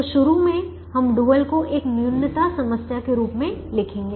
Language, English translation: Hindi, initially we will write the dual as a minimization problem